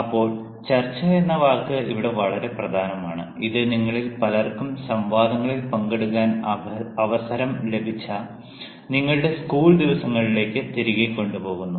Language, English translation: Malayalam, now, the word discussion is very important here, and that actually takes you back to your school days, when perhaps many of you had a chance to take part in debates